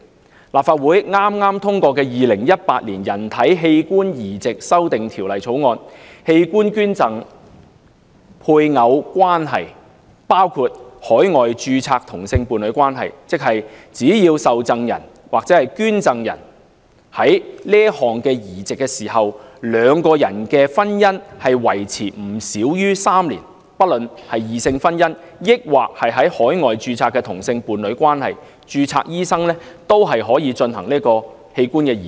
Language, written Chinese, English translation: Cantonese, 根據立法會剛通過的《2018年人體器官移植條例草案》，器官捐贈配偶關係包括海外註冊同性伴侶關係，即只要受贈人或捐贈人進行此項移植時，兩人的婚姻維持不少於3年，不論異性婚姻還是在海外註冊的同性伴侶關係，註冊醫生都可以進行器官移植。, According to the Human Organ Transplant Amendment Bill 2018 passed earlier by the Legislative Council the spousal relationship in the context of organ donation includes same - sex partnership registered overseas . Precisely put a registered medical practitioner may carry out an organ transplant provided that the marriage between the recipient and the donor has subsisted for not less than three years at the time of the transplant regardless of opposite - sex marriage or same - sex partnership registered overseas